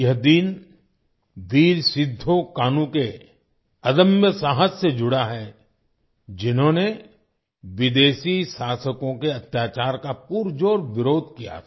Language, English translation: Hindi, This day is associated with the indomitable courage of Veer Sidhu Kanhu, who strongly opposed the atrocities of the foreign rulers